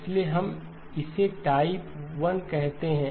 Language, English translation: Hindi, So we call this as type 1